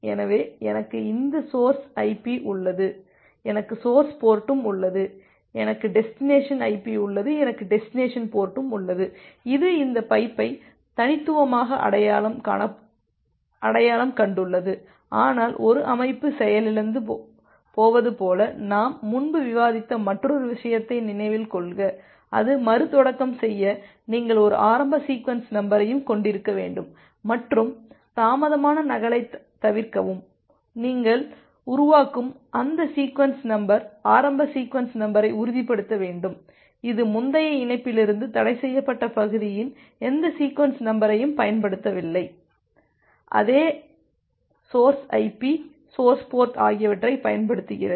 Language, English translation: Tamil, So, I have this source IP, I have source port, I have destination IP, I have destination port, which is uniquely identified this pipe, but remember another point that we have discussed earlier like if a system is getting crashed, and it is restarting you have to also have an initial sequence number and to avoid the delayed duplicate, you need to ensure that that sequence number initial sequence number which you are generating, it is not using any sequence number of the forbidden region from the previous connection, which is utilizing the same source IP, source port